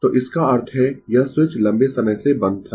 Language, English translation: Hindi, So that means this switch was closed for long time